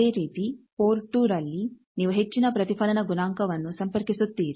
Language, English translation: Kannada, Similarly in port 2 you connect high reflection coefficient